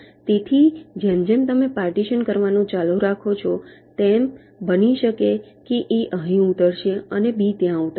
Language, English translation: Gujarati, so as you go on partitioning, it may so happen that a will land up here and b will land up there